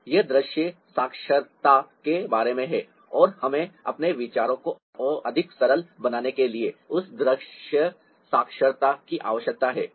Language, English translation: Hindi, now, that is all about visual literacy, and we need that visual literacy to make our ideas more simplified